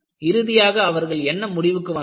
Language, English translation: Tamil, And what they concluded